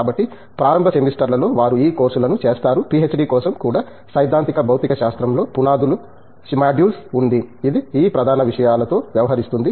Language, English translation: Telugu, So, in the initial semesters they undergo a set of these courses, even for a PhD we have a module of foundations in theoretical physics which deals with these core subjects